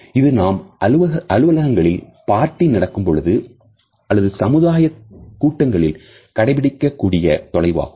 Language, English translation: Tamil, This is the distance which we normally maintain at workplace during our office parties, friendly social gatherings etcetera